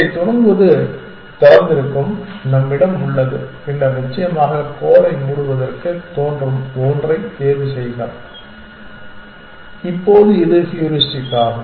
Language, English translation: Tamil, To start with, this is only open that we have and then choose the one which has which seems to be closes to the goal essentially now this is the heuristic